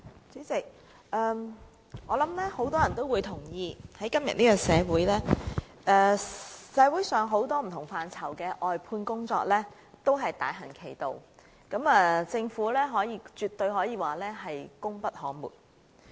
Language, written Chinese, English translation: Cantonese, 主席，我相信很多人也同意，今時今日社會上不同範疇的外判工作正大行其道，政府絕對稱得上是功不可沒。, President I believe many people will agree that the Government can absolutely be described as playing a vital role in the prevalence of outsourcing in different quarters of society nowadays